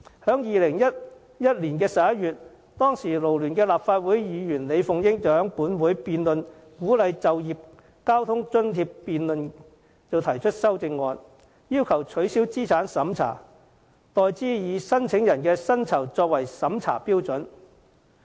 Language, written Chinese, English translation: Cantonese, 在2011年11月，當時勞聯立法會議員李鳳英在本會有關就業交通津貼的辯論上提出修正案，要求取消資產審查，代之以申請人的薪酬作為審批標準。, In November 2011 Ms LI Fung - ying a former Member representing FLU at the time proposed an amendment motion during a debate on transport subsidy for workers calling for the replacement of the asset test with vetting and approval based on the salary level of an applicant